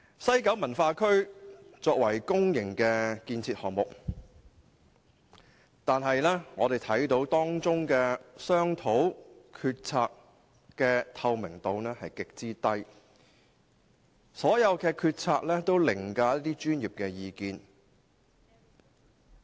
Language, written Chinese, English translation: Cantonese, 西九文化區是一項公營建設項目，唯我們看見當中商討及決策的透明度極低，所有決策均凌駕於專業意見。, WKCD is a public facility project yet we note that the transparency of its discussions and decisions is extremely low where all decisions have overridden professional advice